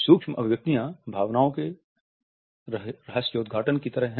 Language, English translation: Hindi, Micro expressions are like leakages of emotions